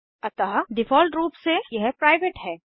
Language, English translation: Hindi, So by default it is private